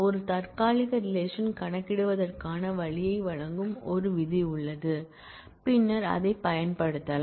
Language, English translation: Tamil, There is a with clause that provides a way of computing a temporary relation and that can be subsequently used